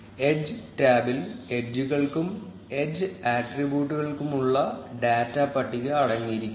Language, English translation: Malayalam, And the edges tab contains the data table for edges and edge attributes